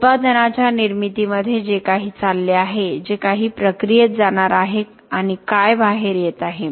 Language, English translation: Marathi, Whatever is going into the making of the product, whatever is going to go into the process and what are the what is coming out